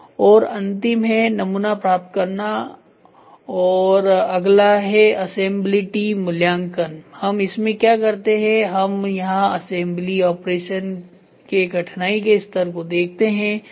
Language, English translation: Hindi, And the last one is receiving samples then next assemblability evaluation what we do is here we see the degree of difficulty of assembly operation